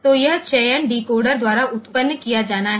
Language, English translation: Hindi, So, this selection has to be generated by the decoder